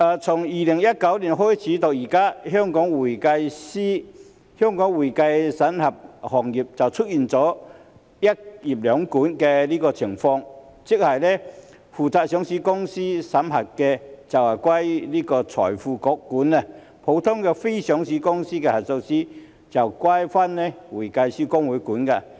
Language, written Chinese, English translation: Cantonese, 從2019年開始到現在，香港會計審計行業就出現"一業兩管"的情況，即是負責上市公司審計的，就歸財匯局監管；普通非上市公司的核數師，就歸會計師公會監管。, Since 2019 the accounting and auditing profession in Hong Kong has seen two regulatory bodies for one profession that is those responsible for auditing listed companies are under the regulation of FRC while auditors of ordinary unlisted companies are under the regulation of HKICPA